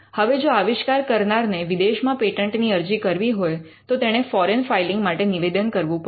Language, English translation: Gujarati, Now, if the inventor wants to file the patent in a foreign country then, the inventor has to request for a foreign filing